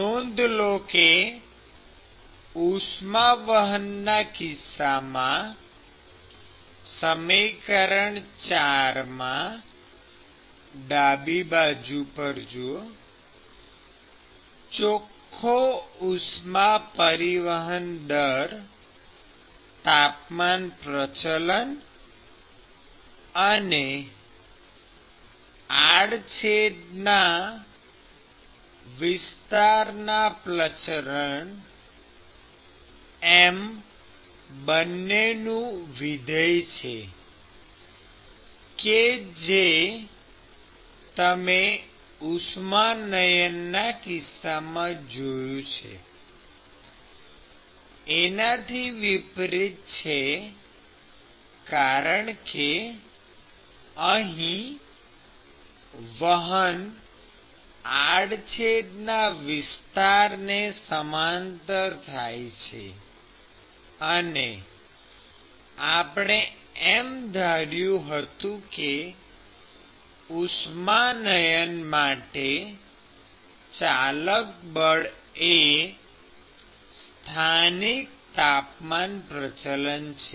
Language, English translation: Gujarati, So, note that in the conduction term, the gradient in the or the net heat transport rate is now going to be a function of both the temperature gradient and the cross sectional area gradient, unlike what you see in convection term, because the convection here occurs along the cross sectional area; and you assume that the driving force for convection is the local temperature gradient